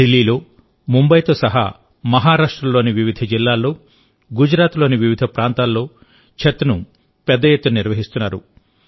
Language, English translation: Telugu, Chhath is now getting organized on a large scale in different districts of Maharashtra along with Delhi, Mumbai and many parts of Gujarat